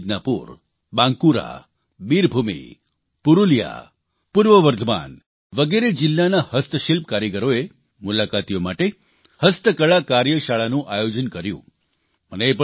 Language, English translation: Gujarati, The Handicraft artisans from West Midnapore, Bankura, Birbhum, Purulia, East Bardhaman, organized handicraft workshop for visitors